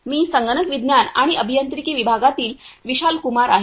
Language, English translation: Marathi, My name is Vishal Kumar from Computer Science and Engineering department